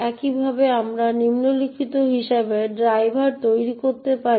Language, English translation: Bengali, Similarly, we could also make the driver as follows